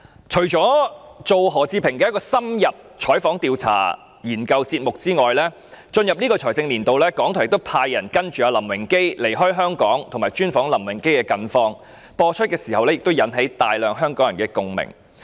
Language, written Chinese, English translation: Cantonese, 除了就何志平製作一個需要深入採訪、調查和研究的節目外，在本財政年度，港台亦派員跟隨林榮基離開香港，專訪林榮基的近況，節目播出時引起大量香港人共鳴。, In addition to the programme on Patrick HO which requires in - depth interviews investigation and studies RTHK has also sent staff to follow LAM Wing - kee when he left Hong Kong and conduct an exclusive interview on his latest condition during this financial year . When the programme was broadcast a large number of people of Hong Kong voiced strong echoes